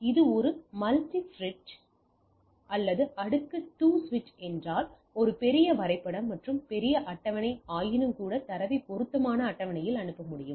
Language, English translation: Tamil, If this is a multiport bridge or a layer 2 switch there can be a more bigger diagram a bigger table, but nevertheless I can forward the data into the appropriate table right